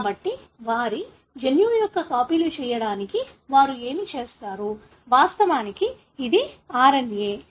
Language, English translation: Telugu, So, what do they do for them to make copies of their genome, which is of course RNA